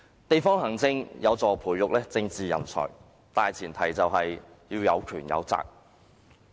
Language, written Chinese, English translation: Cantonese, 地方行政有助培育政治人才，但前提是要有權有責。, District administration helps nurture political talents on the premise that there are both powers and responsibilities